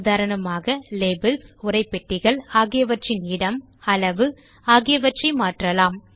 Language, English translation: Tamil, For example, we can change the placement and size of the labels and text boxes